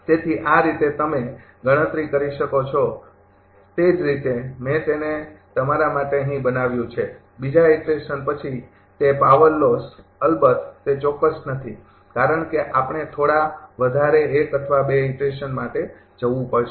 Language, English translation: Gujarati, So, this way you can compute, same way I have made it here for you, that power loss after second iteration, of course this is not exact, because we have to move few for few iterations another 1 or 2